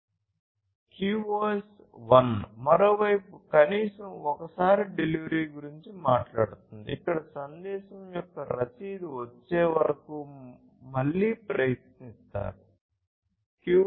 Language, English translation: Telugu, QoS 1: on the other hand, talks about at least once delivery, where retry is performed until the acknowledgement of the message is received